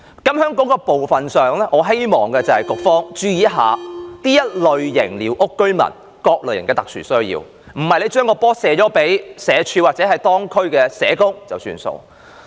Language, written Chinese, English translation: Cantonese, 對於這問題，我希望局方注意這類寮屋居民的各種特殊需要，而非將責任推諉予社會福利署或當區社工便作罷。, In this regard I hope the Bureau can pay attention to the various special needs of such squatter occupants rather than shirking its responsibility to the Social Welfare Department or local social workers